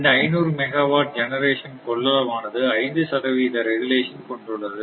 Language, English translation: Tamil, Evenly spread among 500 megawatt generation capacity with 5 percent regulation right